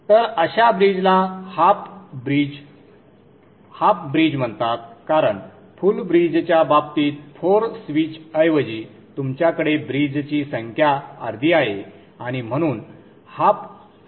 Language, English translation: Marathi, Half bridge because you have instead of four switches in the case of the full bridge, you have half the number of bridges and therefore the half bridge